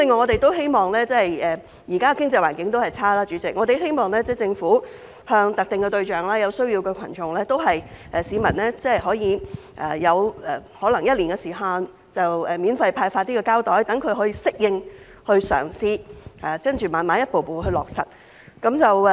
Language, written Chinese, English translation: Cantonese, 代理主席，現在的經濟環境仍然差，我們希望政府向特定對象、有需要的群眾和市民提供可能是一年的時限，免費派發膠袋，讓他們適應和嘗試，然後逐步落實。, Deputy President as the economic environment is still poor we hope the Government will distribute free plastic bags to specific target groups the needy and the public for a certain period say a year so that they can adapt to and try out the arrangement . After that the arrangement can be implemented gradually